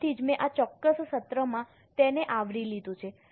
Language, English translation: Gujarati, That's why I have covered it in this particular session